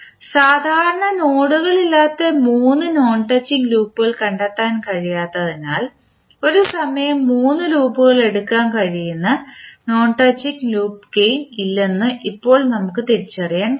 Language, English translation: Malayalam, Now, we can also identify that there is no non touching loop gains where we can take three loops at a time because we cannot find out three non touching loops which do not have the common nodes